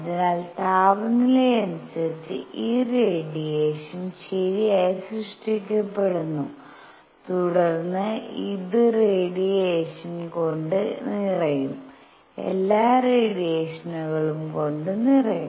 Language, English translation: Malayalam, So, with temperature there is this radiation is generated right and this then gets filled with radiation, all the radiation